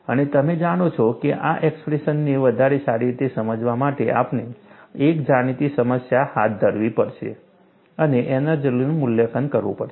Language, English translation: Gujarati, And you know, for you to understand this expression better, we need to take up a known problem and evaluate the energy